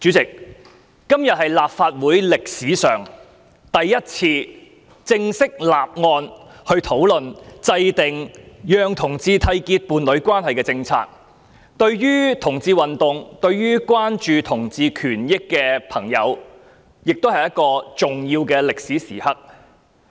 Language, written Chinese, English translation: Cantonese, 主席，今天是立法會歷史上首次正式討論制訂讓同志締結伴侶關係的政策，對同志運動、關注同志權益的朋友來說，這亦是一個重要的歷史時刻。, President this is the first time in the history of the Legislative Council that a formal discussion is held on the formulation of policies for homosexual couples to enter into a union and this is a significant historic moment of the lesbian gay bisexual and transgender LGBT movement in Hong Kong as well as for those who are concerned about the rights and interests of LGBT people